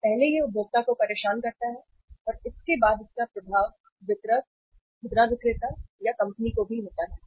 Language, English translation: Hindi, First it disturbs the consumer and the aftermath effect of it is to the distributor, to the retailer or to the company also